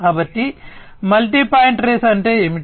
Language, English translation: Telugu, So, multi point trace means what